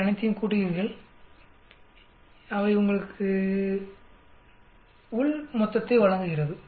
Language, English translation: Tamil, You add up all of them that will be give you total of within